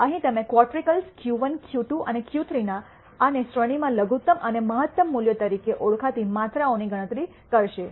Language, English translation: Gujarati, Here you will compute quantities called quartiles Q 1, Q 2 and Q 3 and the minimum and maximum values in the range